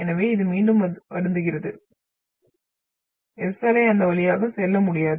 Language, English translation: Tamil, So this is again sorry the S wave will not be able to go through that